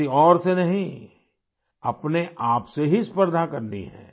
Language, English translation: Hindi, You have to compete with yourself, not with anyone else